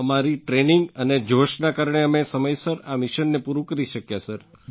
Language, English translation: Gujarati, Because of our training and zeal, we were able to complete these missions timely sir